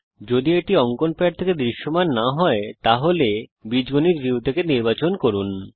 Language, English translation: Bengali, If it is not visible from the drawing pad please select it from the algebra view